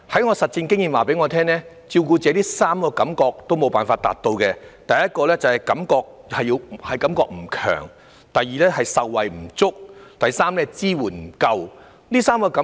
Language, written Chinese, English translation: Cantonese, 我的實戰經驗告訴我，照顧者在3方面感到缺失：第一是"感覺不強"、第二是"受惠不足"、第三是"支援不夠"。, From my real experience I learnt that carers perceive inadequacies in three areas . First empathy is lacking; second benefits are insufficient; and third support is inadequate